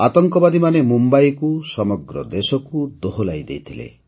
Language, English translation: Odia, Terrorists had made Mumbai shudder… along with the entire country